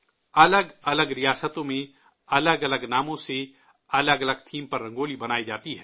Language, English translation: Urdu, Rangoli is drawn in different states with different names and on different themes